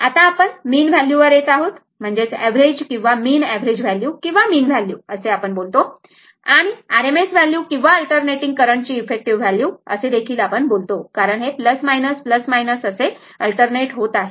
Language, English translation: Marathi, Now, we will come to mean value that is average or mean average value or mean value we call and RMS value or we call effective value of an alternating current because it is alternating because it is moving plus minus plus minus